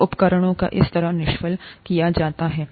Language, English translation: Hindi, So instruments are sterilized that way